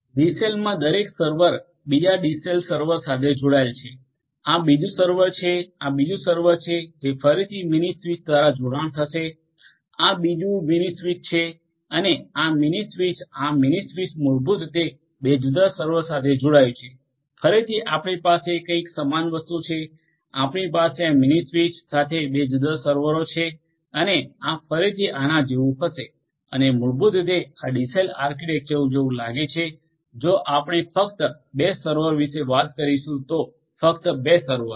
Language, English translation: Gujarati, Every server in a DCell will connect to another DCell server, this is another server, this will be another server which again will be connected by a mini switch, this is another mini switch and this mini switch this mini switch basically connects to two different servers, again you are going to have something very similar you are going to have a mini switch with two different servers like this and these again will be like this and this is how basically this DCell architecture will look like if we are talking about 2 servers only 2 servers